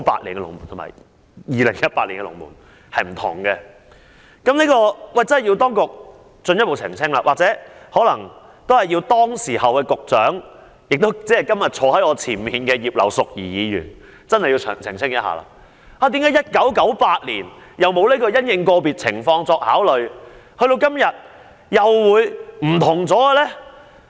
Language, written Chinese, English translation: Cantonese, 當局真的有需要進一步澄清，或請當時的局長——即今天坐在我前面的葉劉淑儀議員——澄清，為何1998年沒有"因應個別情況作出考慮"這一句。, It is really necessary for the authorities to further clarify why the expression take into account the individual circumstances of each application was not found in the 1998 reply . The then Secretary Mrs Regina IP who is sitting in front of me today may also help clarify